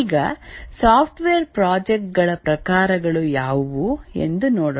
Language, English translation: Kannada, Now let's look at what are the types of software projects